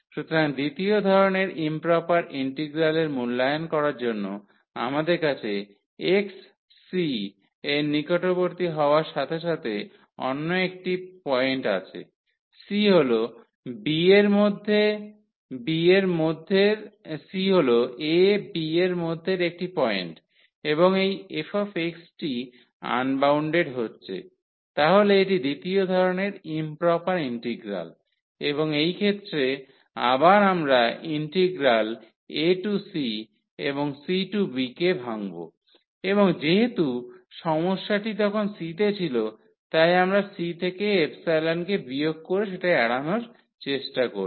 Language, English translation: Bengali, So, evaluation of improper integral of second kind when we have a some other point as x approaching to c c is a point in a b and this f x is becoming unbounded so, this is the improper integral of the second kind and in this case again we will use the trick that the integral a to c and c to b we will break and since the problem was at c so, we have avoided by subtracting epsilon from c